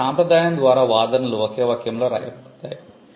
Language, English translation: Telugu, So, by convention claims are written in one sentence